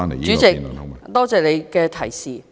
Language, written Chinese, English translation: Cantonese, 主席，多謝你的提示。, President thank you for your reminder